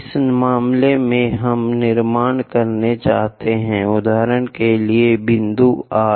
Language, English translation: Hindi, In this case, we would like to construct, for example, at point R